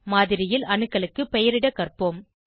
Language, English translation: Tamil, Let us learn to label the atoms in the model